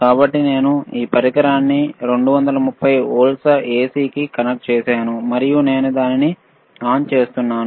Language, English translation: Telugu, So, I have connected this right device to the 230 volts AC and I am switching it on